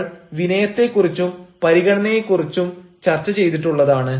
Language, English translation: Malayalam, we have also discussed about the courtesy and the consideration